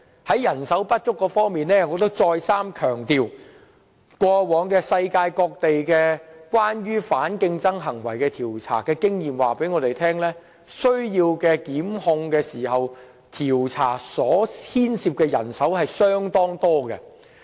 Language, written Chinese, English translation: Cantonese, 在人手短缺方面，我再三強調，過往世界各地調查反競爭行為的經驗告訴我們，就檢控而進行的調查工作涉及相當多的人手。, In addressing the shortfall of manpower I want to reiterate as informed by the worlds past experiences in inquiring into anti - competitive practices that the work conducted under the inquiry into a case for the purpose of instituting prosecution may involve much staff effort